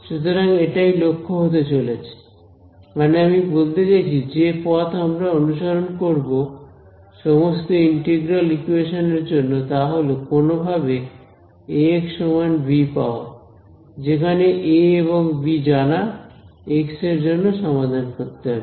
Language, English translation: Bengali, So, this is going to be the objective of I mean the approach that we will follow for all integral equations somehow get it into Ax is equal to b where A and b are known solve for x